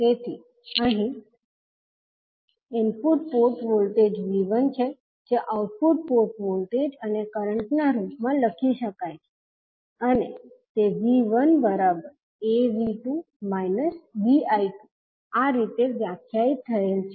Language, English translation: Gujarati, So here the input port voltage that is V 1 can be written in terms of output port voltage and current and it is defined as V 1 is equal to A V 2 minus B I 2